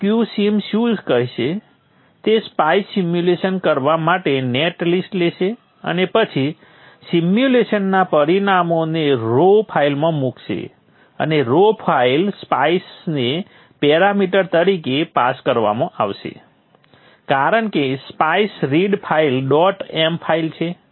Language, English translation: Gujarati, Q Sin what it will do is it will take the netlist, do the spice simulation and then put the results of the simulation into a raw file and the raw file is passed as a parameter to the spice a spice read file